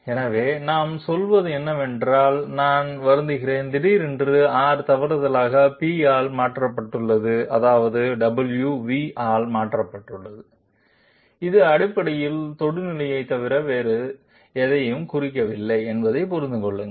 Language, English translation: Tamil, So what we say is, I am sorry suddenly R have been replaced by p by mistake and I mean w has been replaced by v, please understand that this basically represents nothing else but the tangent